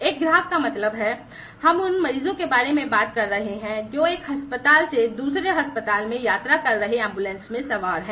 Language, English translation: Hindi, A customers means, we are talking about the patients who are onboard the ambulances traveling from one hospital to another hospital